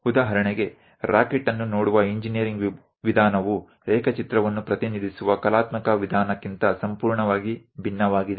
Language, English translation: Kannada, For example, the engineering way of looking at rocket is completely different from artistic way of representing drawing